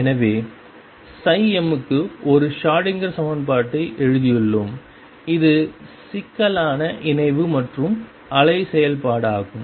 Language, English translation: Tamil, So, we have just written a Schrodinger equation for psi m for it is complex conjugate as well as the wave function itself